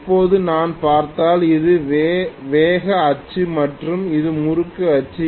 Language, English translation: Tamil, Now, if I look at this is actually the speed axis and this is the torque axis